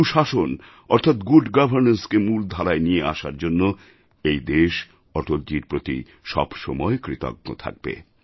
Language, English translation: Bengali, The country will ever remain grateful to Atalji for bringing good governance in the main stream